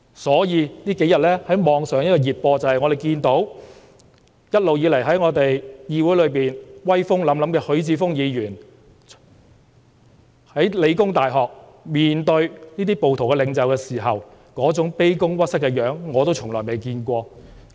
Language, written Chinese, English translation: Cantonese, 所以，我們近日從網上熱播看到，在議會內一直威風凜凜的許智峯議員在香港理工大學面對這些暴徒領袖時，那種卑躬屈膝的樣子，是我是從未見過的。, Hence we can see from popular hits on the Internet that Mr HUI Chi - fung who has always been formidable in this Council kowtow to the leaders of the rioters at The Hong Kong Polytechnic University . I have never seen such a subservient Mr HUI before